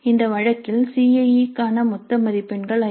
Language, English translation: Tamil, In this case the total marks for CIA are 50